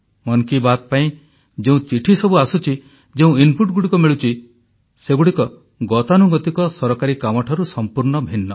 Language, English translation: Odia, The letters which steadily pour in for 'Mann Ki Baat', the inputs that are received are entirely different from routine Government matters